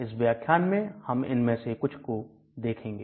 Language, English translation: Hindi, So we will look at some of them in this class